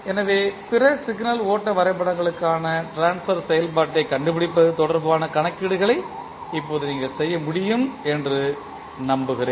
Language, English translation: Tamil, So, I hope you can now do the calculations related to finding out the transfer function for other signal flow graphs